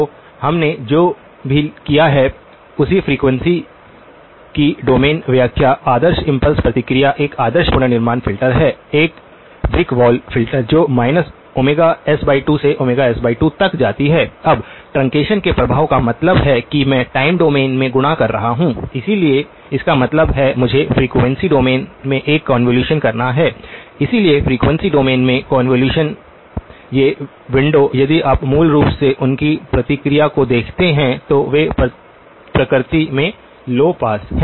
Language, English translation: Hindi, So, the corresponding frequency domain interpretation of what we have done; the ideal impulse response is an ideal reconstruction filter is a brick wall filter which goes from minus omega s by 2 to omega s by 2, now the effect of truncation means that I am multiplying in the time domain, so which means I have to do a convolution in the frequency domain, so convolution in the frequency domain, these windows if you look at their response basically, they are low pass in nature